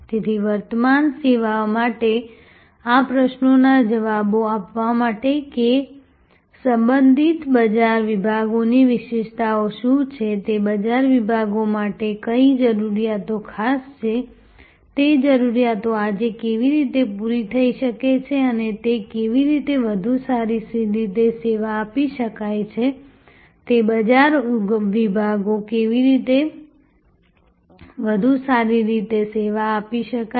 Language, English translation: Gujarati, So, to answer these questions for an incumbent service, that what are the characteristics of the addressed market segments, what needs are special to those market segments, how are those needs being met today and how they can be served better, how those market segments can be served better